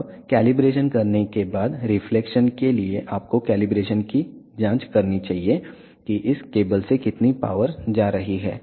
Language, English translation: Hindi, Now, after doing the calibration for reflection you should check the calibration for how much power is going from this cable to this cable